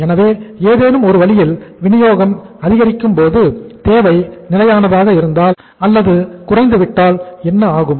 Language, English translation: Tamil, So if in any way when the supply goes up, demand remains stable or goes down then what happens